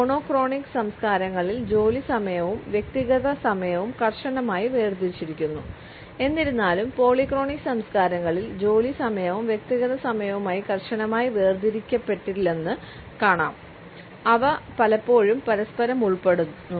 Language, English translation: Malayalam, Work time and personal times are strictly separated in monochronic cultures; however, in polychronic cultures we find that the work time and personal time are not strictly separated they often include in to each other